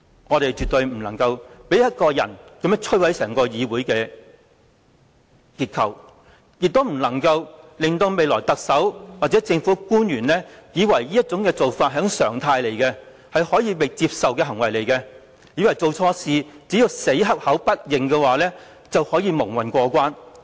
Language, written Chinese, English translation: Cantonese, 我們絕對不能讓一個人摧毀整個議會的結構，亦不能讓未來特首或政府官員以為這做法是一種常態，是可以接受的行為，甚至以為做錯事後只要死口不認，便可以蒙混過關。, Surely we cannot allow anyone to destroy the entire legislature; we cannot convey a message to the next Chief Executive or public officers that such actions are normal and therefore acceptable or that they may muddle through by denying any mistakes made